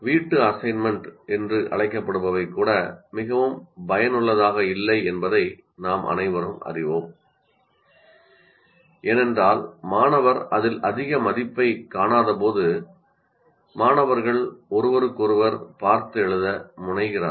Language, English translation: Tamil, And as we all know, that even the so called home assignments are also not that very effective because when the student doesn't see much value in that, the students tend to copy from each other